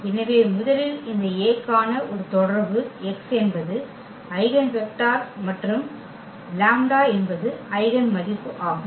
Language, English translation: Tamil, So, first of a relation we have for this A that x is the eigenvector and lambda is the eigenvalue